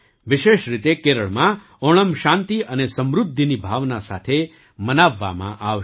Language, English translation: Gujarati, Onam, especially in Kerala, will be celebrated with a sense of peace and prosperity